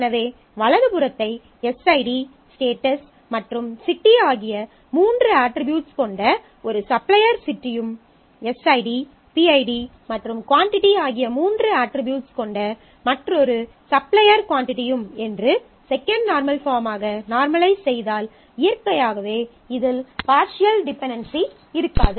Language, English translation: Tamil, So, if I normalize in the second normal form on the right then I will have a supplier city say with the three attributes SID, status and city and another supplier quantity which has SID, PID and quantity naturally in this there is no partial dependency anymore